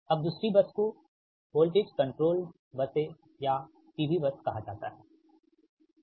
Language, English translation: Hindi, then another bus is called voltage controlled buses or p v bus